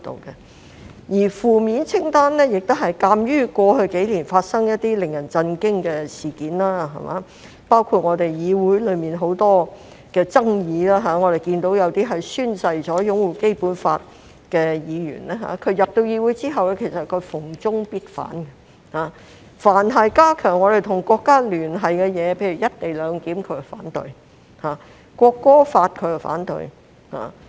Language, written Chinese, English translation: Cantonese, 至於負面清單，也是鑒於過去數年所發生一些令人震驚的事件而訂定的，包括議會內有很多爭議，有些宣誓擁護《基本法》的議員進入議會後逢中必反，凡是加強我們與國家聯繫的事宜，例如"一地兩檢"，他們便反對；《國歌條例》，他們亦反對。, Regarding the negative list it is formulated in light of some shocking incidents that happened over the past few years including the numerous disputes in this Council . After joining the legislature some Members who have taken the oath to uphold the Basic Law indiscriminately opposed all proposals related to China . They opposed all proposals to strengthen connection with our country eg